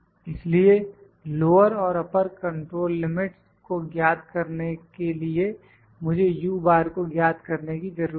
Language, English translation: Hindi, So, to calculate the lower and the upper control limits I need to calculate the u bar